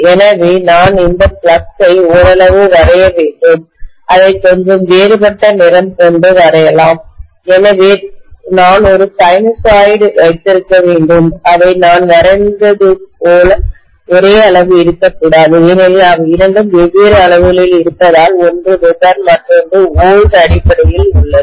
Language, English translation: Tamil, So I should draw the flux somewhat like this, let me probably draw it with a little different color, so I should have a sinusoid they need not be of same magnitude I have just drawn it like that, they need not be because the two are in different quantities, one is Weber, the other one is in terms of volts, right